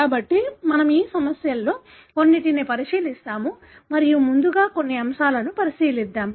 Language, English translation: Telugu, So, we will be looking into some of these issues and first let us look into some aspects